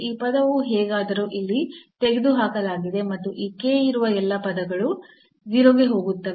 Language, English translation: Kannada, So, this term is anyway is removed here and this all these terms were the k is there we will go to 0